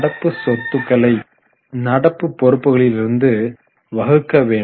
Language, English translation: Tamil, It is current asset divided by current liabilities